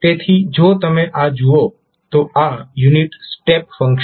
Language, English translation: Gujarati, So if you see this, this is the unit step function